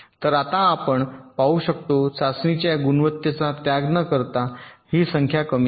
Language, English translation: Marathi, so now we see how we can reduce this number without sacrificing the quality of test